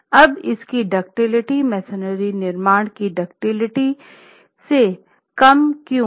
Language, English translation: Hindi, Why is it lower than the ductility of a reinforced masonry construction